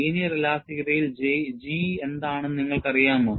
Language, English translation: Malayalam, In linear elasticity, we know what is G